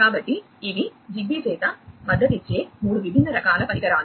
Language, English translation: Telugu, So, these are the 3 different types of devices that are supported by Zigbee